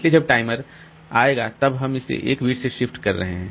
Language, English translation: Hindi, So, when the timer comes, then we are shifting it by 1 bit